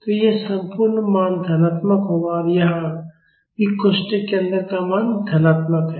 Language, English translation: Hindi, So, this entire value will be positive and same here also value inside the bracket is positive